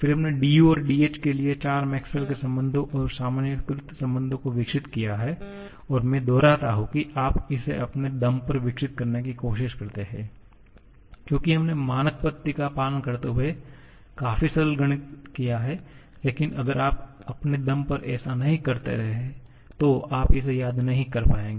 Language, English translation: Hindi, Then, we developed 4 Maxwell's relations and generalized relations for du and dh and I repeat you try to develop this on your own because we have done a bit of method is quite simple mathematics following standard procedure but if you are not doing that on your own, you will not be able to remember that